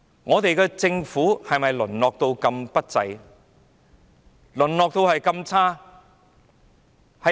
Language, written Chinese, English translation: Cantonese, 我們的政府是否淪落至這麼不濟、這麼差？, Is it that our Government has degenerated to such a sorry deplorable state?